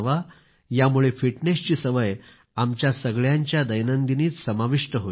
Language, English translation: Marathi, This will inculcate the habit of fitness in our daily routine